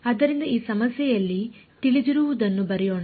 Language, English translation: Kannada, So, let us write down what is known what is known in this problem